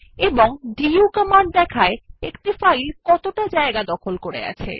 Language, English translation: Bengali, And the du command gives a report on how much space a file has occupied